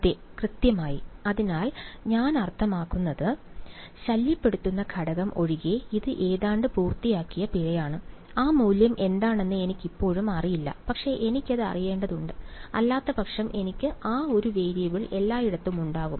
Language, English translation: Malayalam, Yeah exactly, so I mean it is a fine it is almost done except for the annoying factor b which I still do not know how what that value is, but I need to know it because otherwise I will have that one variable everywhere